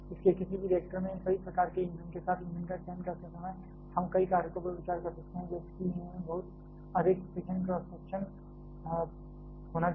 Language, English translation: Hindi, So, with all these kinds of fuels in any reactor while choosing the fuel we can consider several factors like the fuel must have a very high fission cross section